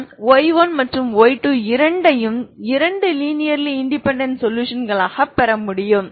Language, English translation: Tamil, I can get both y 1 and y 2 two linearly independent solutions